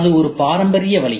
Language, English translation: Tamil, That is a traditional way